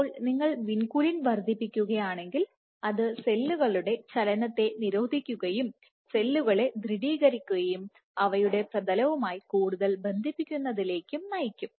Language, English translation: Malayalam, So, if you increase vinculin that should lead to suppression of cell motility versus cells will become steady and they will form bigger adhesions with their substrate